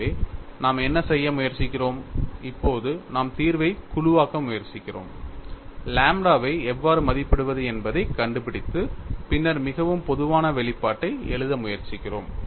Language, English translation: Tamil, So, what we are trying to do now is, we are trying to group the solution, find out how to estimate lambda, and then try to write the most general form of expression; still, we have not got what is the form of phi